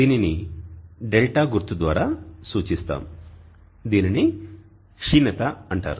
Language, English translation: Telugu, We represent this by symbol d and it is called declination